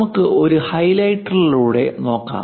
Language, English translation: Malayalam, Let us look a through highlighter